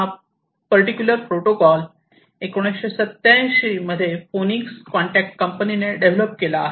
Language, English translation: Marathi, So, this particular protocol was developed in 1987 by the company phoenix contact